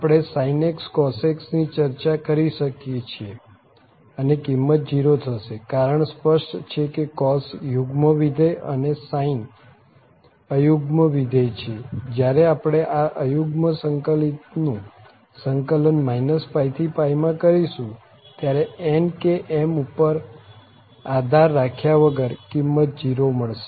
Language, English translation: Gujarati, So, we can talk about sin x cos x so that value will be also 0, and here the reasoning is very clear the cos is the even function here, sin is the odd function and when we integrate minus pi to pi this integrand is odd, so the value is 0 irrespective of whatever n or m is